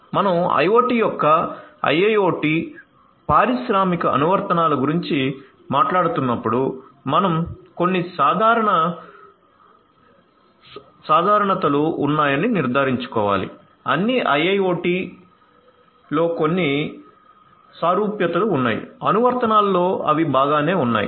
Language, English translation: Telugu, So, when you are talking about IIoT industrial applications of IoT we have to ensure that there are certain commonalities, there are certain commonalities across all you know IIoT applications which are fine